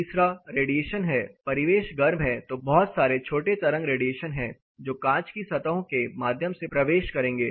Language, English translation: Hindi, The third is radiation, the ambient is hotter that is a lot of short wave radiation is going to enter through the glass or glaze surfaces